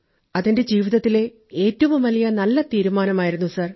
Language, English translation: Malayalam, It was the greatest & the best decision of my life Sir